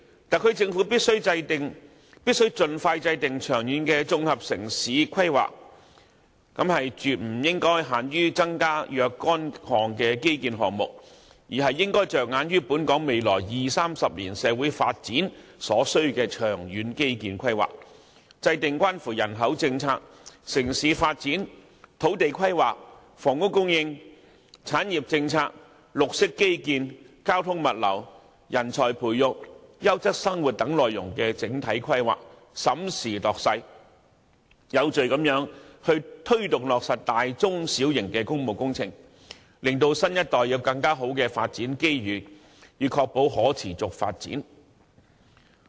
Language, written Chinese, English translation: Cantonese, 特區政府必須盡快制訂長遠的綜合城市規劃，除增加基建項目外，亦應着眼本港未來二三十年社會發展所需的長遠基建規劃，制訂關乎人口政策、城市發展、土地規劃、房屋供應、產業政策、綠色基建、交通物流、人才培育、優質生活等範疇的整體規劃，審時度勢，有序推動落實大、中、小型工務工程，令新一代有更好的發展機遇，以確保可持續發展。, It is thus imperative for the SAR Government to expeditiously formulate long - term integrated urban planning . Apart from the implementation of more infrastructure projects the Government should ensure due planning for long - term infrastructure development in society over the next 20 to 30 years as well as formulate overall planning in areas concerning the population policy urban development land planning housing supply industrial policy green infrastructure transportation and logistics training of talents quality of life and so on such that public works projects of all scales and sizes can be taken forward in an orderly manner after capitalizing on the actual situation so as to provide better development opportunities for the young generation and ensure sustainable development